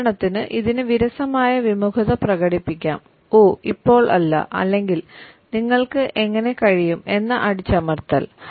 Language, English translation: Malayalam, For example, it can express boredom reluctance “oh not now” or suppressed rage “how can you”